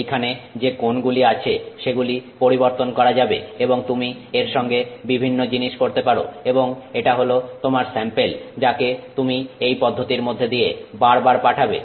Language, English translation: Bengali, The angles that are there can be changed and various things you can do with it and that is your sample that you repeatedly send through this process